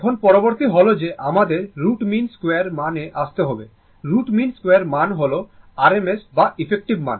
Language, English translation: Bengali, Now, next is that your we have to come to the root mean square value root mean square value r m s value or effective value right